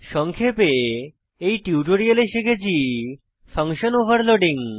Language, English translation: Bengali, In this tutorial, we will learn, Function Overloading